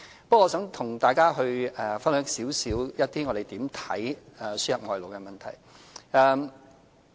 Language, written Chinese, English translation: Cantonese, 不過，我想跟大家分享我們對輸入外勞的看法。, I would like to share with Members our views on the importation of labour